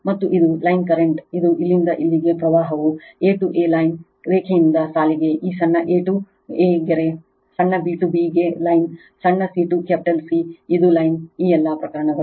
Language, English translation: Kannada, And this is the line current this is the current from here to here line a to A is the line, line to line, this small a to A is line, small b to B is line, small c to capital C, it is line, all these cases